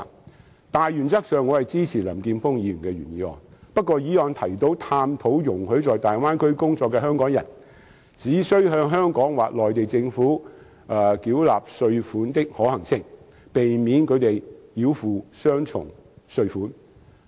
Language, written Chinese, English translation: Cantonese, 在大原則上，我支持林健鋒議員的原議案，而原議案提及"探討容許在大灣區工作的香港人，只須向香港或內地政府繳納稅款的可行性，避免他們繳付雙重稅款"。, Speaking of the cardinal principle I support Mr Jeffrey LAMs original motion which says [E]xploring the feasibility of allowing Hong Kong people working in the Bay Area to pay tax to either the Hong Kong Government or the Mainland Government so as to avoid them having to pay double tax